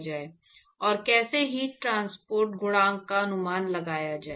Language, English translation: Hindi, And how to, first of all, estimate the heat transport coefficient